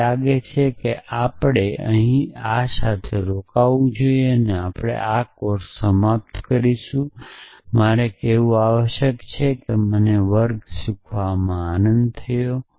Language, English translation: Gujarati, So, I think we should stop here with this we will end this course I must say I enjoyed teaching the class